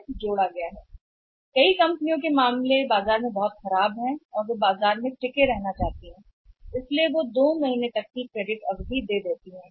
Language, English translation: Hindi, There are the companies were very worst case of companies in the market and want to sustain in the market so there the credit period can be even given 2 months